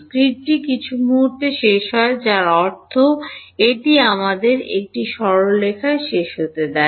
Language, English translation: Bengali, The grid ends at some point I mean it let us say it ends on a straight line